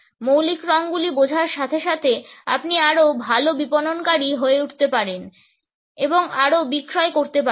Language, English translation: Bengali, With an understanding of the basic colors, you can become a better marketer and make more sales